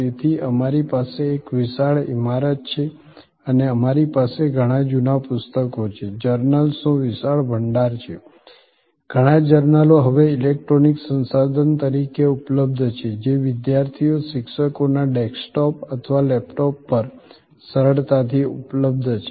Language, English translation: Gujarati, So, we have a huge building and we have many old books, a huge repository of journals, many journals are now available as electronic resource, easily available on the desktop or laptop of students, faculty